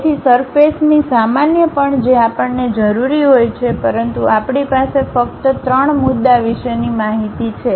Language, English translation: Gujarati, So, normals of the surface also we require, but we have only information about three points